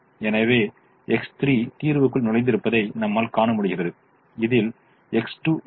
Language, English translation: Tamil, so you see that x three has entered the solution and there is no x two in this at the moment